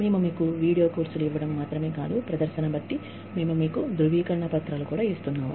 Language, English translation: Telugu, We are not only giving you video courses, we are also giving you certificates, for performing well